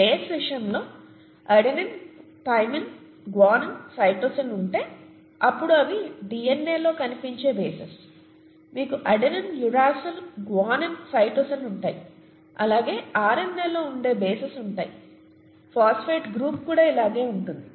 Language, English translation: Telugu, In the case of a base you have, if you have adenine, thymine, guanine, cytosine, those are the bases found in DNA, you have adenine, uracil, guanine, cytosine, then you have the bases found in the RNA, the phosphate group of course is the same